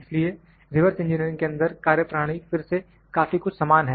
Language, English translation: Hindi, So, the procedure is again very similar in reverse engineering